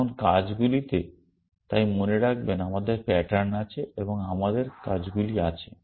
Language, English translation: Bengali, Now, actions so remember we have patterns and we have actions